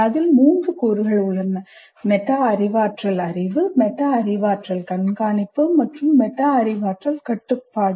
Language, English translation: Tamil, The three elements are metacognitive knowledge, metacognitive monitoring and metacognitive control